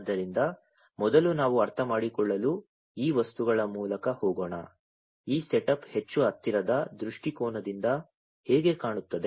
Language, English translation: Kannada, So, first let us go through these materials to understand, how this setup looks like from a much closer viewpoint